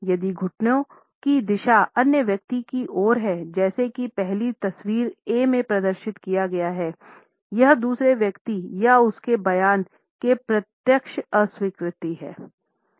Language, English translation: Hindi, If the knee points in the direction of the other person, as it has been displayed in the first photograph A, it is a direct rejection of the other person or his statement